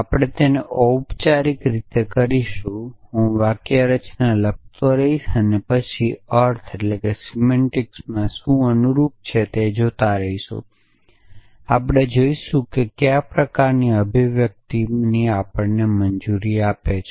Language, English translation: Gujarati, So, we will do it a slightly in formal way I will keep writing the syntax and will keep looking at what the semantic corresponded to and we will see what kind of expression is allows us essentially